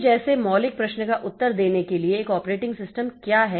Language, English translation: Hindi, So, to answer the fundamental question like what is an operating system